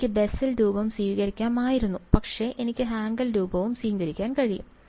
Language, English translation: Malayalam, I could have assume the Bessel form, but I can as well as assume the Hankel form